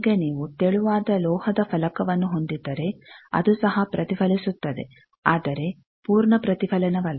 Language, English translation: Kannada, Now, if you have a thin metal plate that also will re plate may not be with full reflection